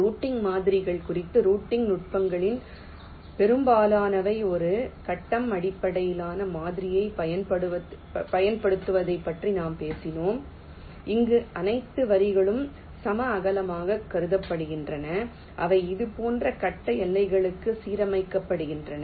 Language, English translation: Tamil, ok, and regarding routing models, well, most of ah, the routing techniques we shall talk about, they use a grid based model where all the lines are considered to be of equal with and they are aligned to grid boundaries, like this